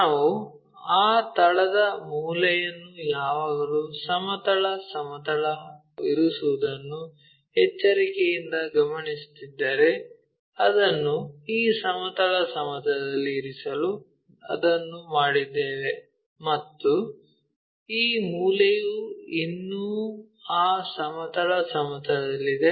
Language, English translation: Kannada, If we are carefully noting corner of that base is always be resting on horizontal plane, that is the reason we made it to rest it on this horizontal plane and this corner still rests on that horizontal plane